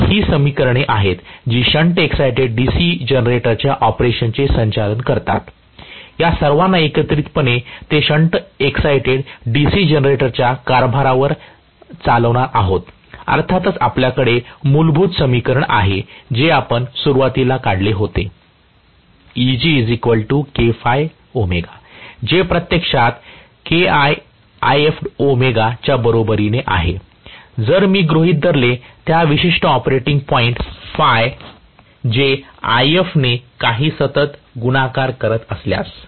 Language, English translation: Marathi, So, these are the equations which govern the operation of the shunt exited DC generator, all of them put together they are going to govern the operation of a shunt exited DC generator, of course, we have the fundamental equation what we initially derived , which is actually equal to , if I assume in that particular operating point is equal to some constant multiplied by If